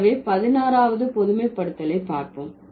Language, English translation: Tamil, So, that is the 16th generalization